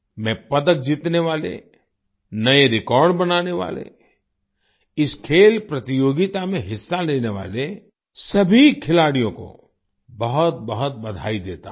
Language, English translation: Hindi, I congratulate all the players, who won medals, made new records, participated in this sports competition